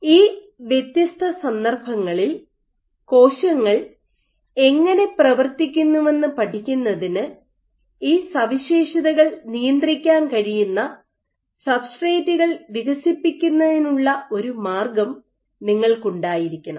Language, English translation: Malayalam, So, in order to study how cells behave in these different contexts, you must have a way of developing substrates where these properties can be regulated